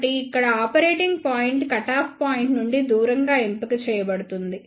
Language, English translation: Telugu, So, here the operating point is chosen away from the cutoff point